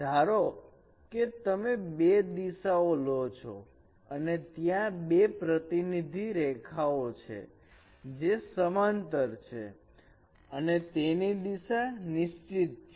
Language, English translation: Gujarati, Suppose you take two directions and there are two representative lines which parallel lines which are denoting those directions